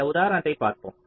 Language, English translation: Tamil, take an example to illustrate this